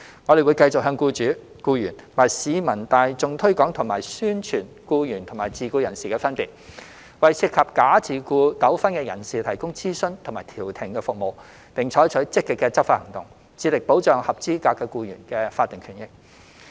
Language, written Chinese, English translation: Cantonese, 我們會繼續向僱主、僱員及市民大眾推廣及宣傳僱員與自僱人士的分別，為涉及假自僱糾紛的人士提供諮詢及調停服務，並採取積極的執法行動，致力保障合資格僱員的法定權益。, We will continue to emphasize and publicize the difference between employees and self - employed persons to employers employees and the general public provide advisory and mediation services to those involved in false self - employment disputes and take proactive enforcement actions to protect the statutory rights of eligible employees